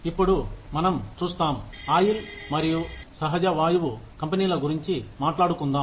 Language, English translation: Telugu, Now, let us see, when we talk about oil and natural gas companies